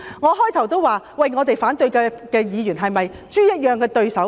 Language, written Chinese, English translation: Cantonese, 我最初已經說反對派議員是否豬一般的對手？, Initially I questioned whether Members in the opposition camp are opponents clumsy like pigs